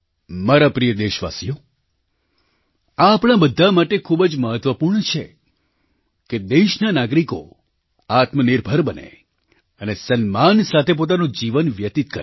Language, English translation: Gujarati, My dear countrymen, it is very important for all of us, that the citizens of our country become selfreliant and live their lives with dignity